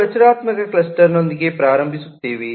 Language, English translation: Kannada, we start with the structural clustering